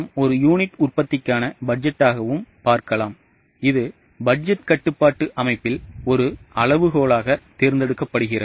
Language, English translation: Tamil, We can also look at it as a budget for production of one unit and it is chosen as a benchmark in the budgetary control system